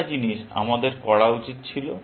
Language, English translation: Bengali, One thing, we should have done